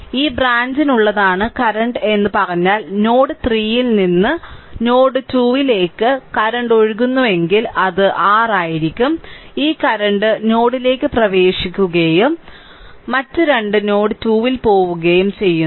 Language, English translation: Malayalam, So, in this case that if you say that current is for this branch the current is flowing from node 3 to node 2 say, then it will be your this current is ah entering into the node and other 2 are leaving at node 2